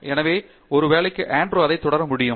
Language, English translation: Tamil, So, maybe Andrew can start with that